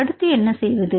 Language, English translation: Tamil, So, what they do